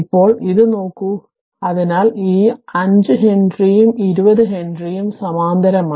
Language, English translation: Malayalam, Now look at this, so 5 if you look into that this 5 henry and 20 henry are in parallel